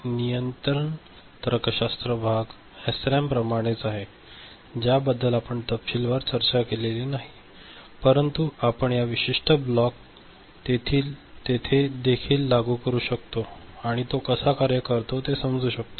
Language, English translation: Marathi, The control logic part remains as it was for SRAM, which we did not discuss in that detail, but we can apply this particular block there also and understand how it works